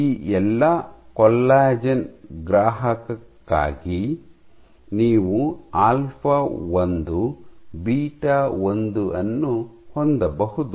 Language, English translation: Kannada, So, you can have for all these collagen receptors you can have alpha 1 beta 1